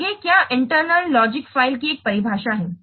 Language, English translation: Hindi, That's why this is internal logical file